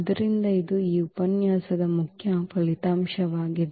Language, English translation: Kannada, So, that is the main result of this lecture